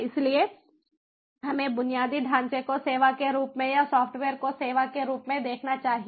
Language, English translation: Hindi, so let us see infrastructure as a service or like software as a service